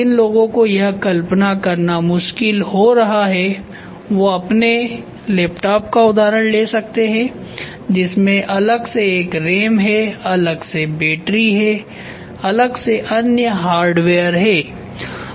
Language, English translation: Hindi, Those of who are finding it difficult to visualise use you take a laptop in your laptop, you have a ram separately, you have battery separately, you have other hardware separately